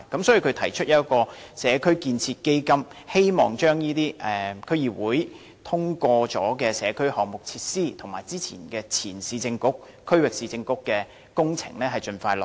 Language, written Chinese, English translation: Cantonese, 所以，他提出設立"社區建設基金"，希望把這些已獲區議會通過的社區項目設施，以及前市政局和區域市政局的工程盡快落實。, For this reason he has proposed establishing a community building fund in the hope that these community facilities already approved by DCs as well as the projects of the former Urban Council and Regional Council will be implemented expeditiously